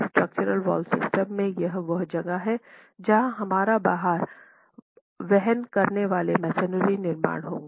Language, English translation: Hindi, In structural wall systems, this is where our load bearing masonry constructions would fall into